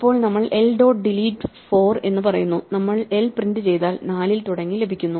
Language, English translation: Malayalam, Now we say l dot delete 4 for instance and we print l then 4 is formed and so on